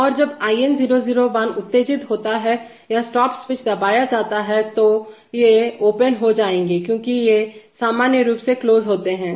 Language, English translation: Hindi, And when IN001 is excited or the stop switch is pressed then these will become open, because they are normally closed